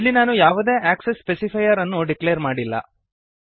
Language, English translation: Kannada, Here I have not declared any access specifier